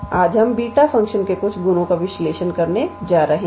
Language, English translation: Hindi, Today, we are going to analyze some properties of beta function